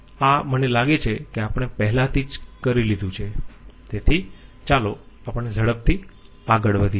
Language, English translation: Gujarati, This I think we have already done, so let us quickly move on